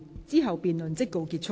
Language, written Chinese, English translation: Cantonese, 之後辯論即告結束。, The debate will come to a close after that